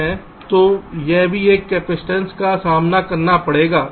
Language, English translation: Hindi, so on what factor does this capacitance depend